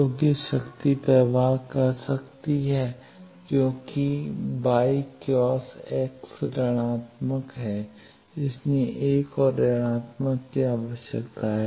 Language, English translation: Hindi, So, that the power can flow because y cross x that itself is negative, another negative is required that is why